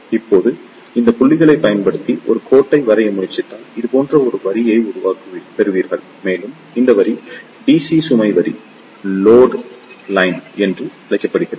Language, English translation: Tamil, Now, if you try to draw a line using these points, you will get a line like this and this line is known as the DC load line